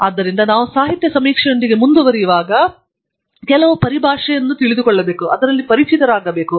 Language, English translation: Kannada, So, when we go ahead with literature survey, we must be familiar with some terminology